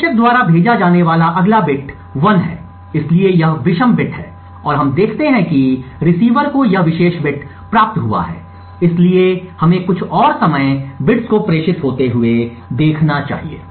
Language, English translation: Hindi, The next bit which is sent by the sender is 1, so this is the odd bit and we see that the receiver has received this particular bit, so let us look for some more time to see more bits being transmitted